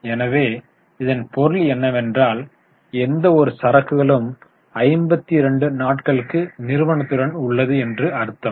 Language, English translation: Tamil, So, that means any inventory which comes in remains with the company for 52 days